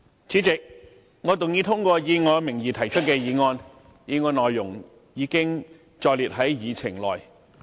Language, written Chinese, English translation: Cantonese, 主席，我動議通過以我名義提出的議案，議案內容已載列於議程內。, President I move that the motion under my name as printed on the Agenda be passed